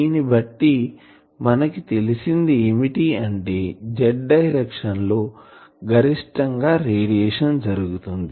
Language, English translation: Telugu, So that means, in the z direction this z direction the maximum radiation takes place